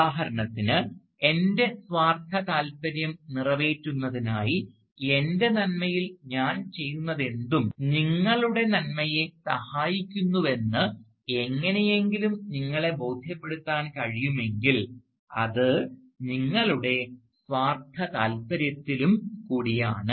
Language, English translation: Malayalam, Thus, for instance, if I can somehow convince you that whatever I do, in my sort of to fulfil my self interest, whatever I do in my good, also serves your good, it is also in your self interest